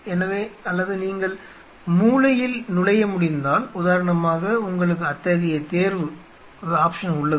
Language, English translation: Tamil, So, or if you can make entry in the corner say for example, you have such option